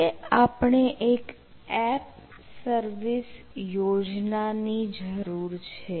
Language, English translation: Gujarati, right now we require an app service plan